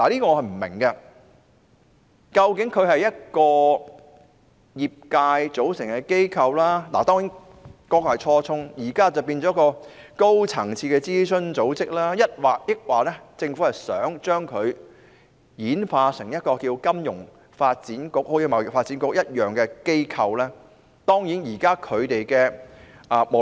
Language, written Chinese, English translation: Cantonese, 究竟金發局是一個由業界組成的機構——當然，這是初衷，金發局現時已經變成高層次諮詢組織——抑或政府想把它轉型成為貿發局那樣的機構呢？, After all is FSDC an organization composed of the industry―of course this is the original intention but FSDC has now become a high - level advisory body―or does the Government intend to turn it into an entity like TDC?